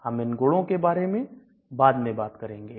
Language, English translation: Hindi, So we will talk about these properties later